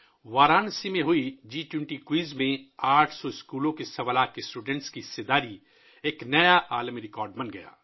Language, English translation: Urdu, 25 lakh students from 800 schools in the G20 Quiz held in Varanasi became a new world record